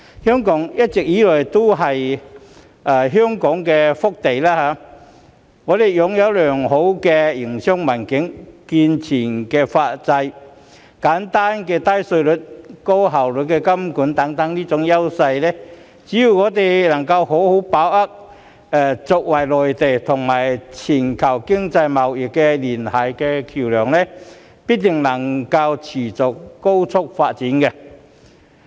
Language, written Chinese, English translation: Cantonese, 香港一直以來都是一片福地，我們擁有良好的營商環境、健全的司法制度、簡單低稅制、高效金融監管等優勢，只要我們能夠好好把握作為內地與全球經貿聯繫的橋樑，必定能夠持續高速發展。, All along Hong Kong has been a city with numerous blessings . We possess competitive edge presented by a good business environment a sound judicial system a simple taxation system with low tax rates and highly effective financial supervision . As long as we can properly grasp our role as a bridge for economic and trade connection between the Mainland and the international community we can definitely sustain our rapid development